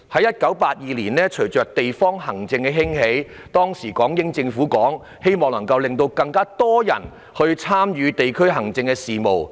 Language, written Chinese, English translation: Cantonese, 1982年，隨着地方行政的興起，當時的港英政府希望可以讓更多人參與地區行政事務。, In 1982 with the rise of district administration the British Hong Kong Government back then wished to promote peoples participation in district administration affairs